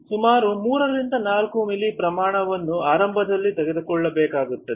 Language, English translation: Kannada, About 3 to 5 ml volume has to be taken initially